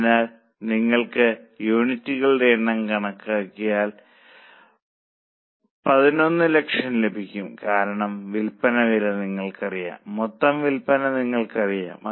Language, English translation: Malayalam, So, if you compute number of units, you will get 1,000, 10,000 because selling price is known to you, total sales is known to you